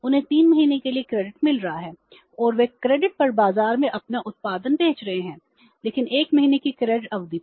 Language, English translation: Hindi, They are getting the credit for 3 months and they are selling their output in the market on credit but on a credit period of 1 month